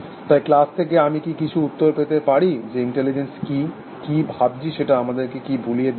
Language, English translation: Bengali, So, can I have some responses from the class, what is intelligence, what is let us forget about what is thinking